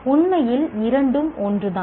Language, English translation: Tamil, Actually, both are the same